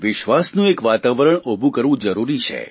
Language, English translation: Gujarati, It is important to build an atmosphere of trust